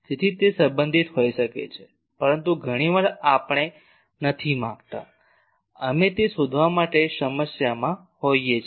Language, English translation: Gujarati, So, that can be related, but many times we do not want to we are at problem to find that